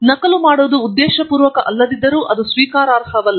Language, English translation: Kannada, And, duplication is not acceptable even if it is not intentional